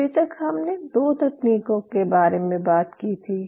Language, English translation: Hindi, So, we have talked about 2 techniques right